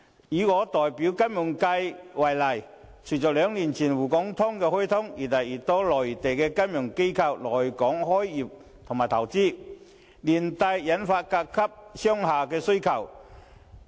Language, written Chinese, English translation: Cantonese, 以我代表的金融服務界為例，隨着兩年前"滬港通"開通，有越來越多的內地金融機構來港開業或投資，連帶推動對甲級商廈的需求。, Take for example the financial services sector of which I am a representative . Following the implementation of the Shanghai - Hong Kong Stock Connect two years ago more and more Mainland financial institutions have come to Hong Kong for business start - ups or investment and have accordingly driven up the demand for Grade A commercial buildings